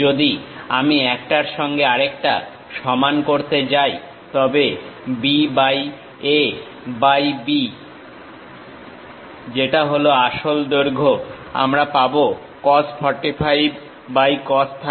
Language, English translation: Bengali, If I am going to equate each other; then B by A by B which is true length; I will get cos 45 by cos 30